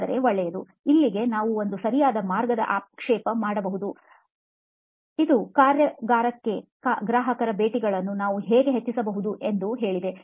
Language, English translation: Kannada, So I said okay, one way is to just stop here and say how might we increase the customer visits to the workshop